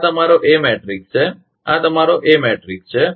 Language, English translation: Gujarati, So, this is your a matrix, this is your a matrix